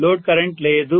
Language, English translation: Telugu, Load current is not present